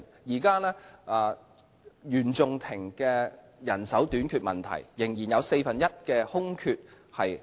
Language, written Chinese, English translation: Cantonese, 現時原訟庭面對人手短缺問題，仍有四分之一的空缺懸空。, The Court of First Instance currently faces the problem of manpower shortage and a quarter of the vacancies remain unfilled